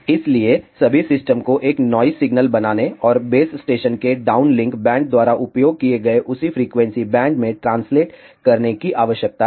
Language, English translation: Hindi, So, all the system needs to do is to create a noise signal and translate it in the same frequency band as used by the downlink band of the base station